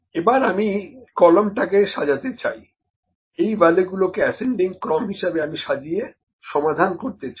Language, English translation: Bengali, So, I like to sort the column B, these values I like to solve these values in ascending order